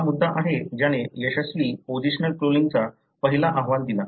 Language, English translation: Marathi, So, that is the issue that carried the first report of successful positional cloning